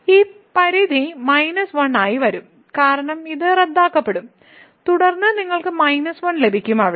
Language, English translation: Malayalam, So, this limit will be coming as minus 1 because this will got cancelled and then you will get minus 1 there